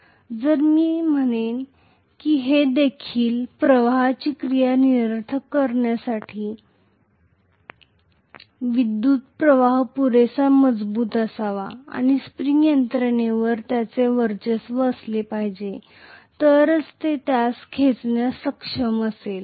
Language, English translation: Marathi, So if it has to be attracted the current should be strong enough to nullify the action of a spring and it has to dominate over the spring’s mechanism, only then it will be able to pull it